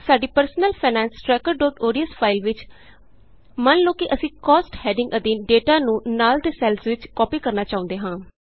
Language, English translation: Punjabi, In our Personal Finance Tracker.ods file, lets say we want to copy the data under the heading Cost to the adjacent cells